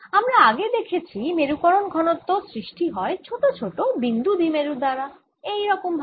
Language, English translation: Bengali, now what we have seen is that the polarization density arises from small point dipoles like this